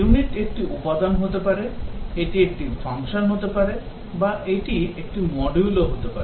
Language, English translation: Bengali, The unit can be a component, it can be a function, or it can be a module